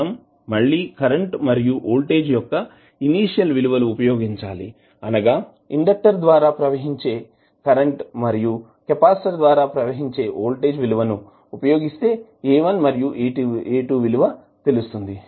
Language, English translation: Telugu, We can again use the initial values of current and voltage that is current flowing through the inductor and voltage across the capacitor to find out the value of A1 and A2